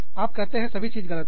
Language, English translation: Hindi, And, you say, everything is wrong